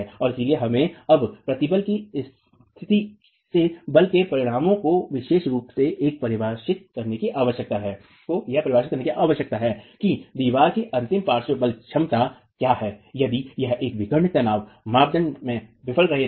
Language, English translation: Hindi, And therefore we need to now transfer from the state of stress to the force resultants especially to define what is the ultimate lateral force capacity of the wall if it were to fail in a diagonal tension criterion